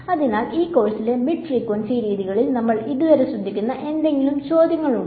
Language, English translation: Malayalam, So, we will focus on this the mid frequency methods in this course any questions so far